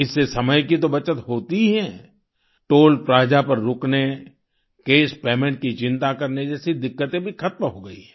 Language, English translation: Hindi, This saves not just travel time ; problems like stopping at Toll Plaza, worrying about cash payment are also over